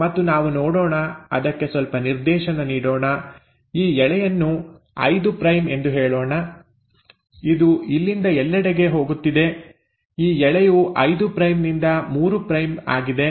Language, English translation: Kannada, And let us look at, let us give it some directionality, let us say this strand is 5 prime, this one which is going all the way from here, this strand is a 5 prime to 3 prime